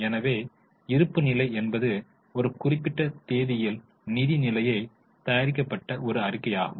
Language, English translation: Tamil, So, balance sheet is a statement which gives the financial position as at a particular date